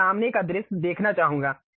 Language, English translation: Hindi, I would like to see front view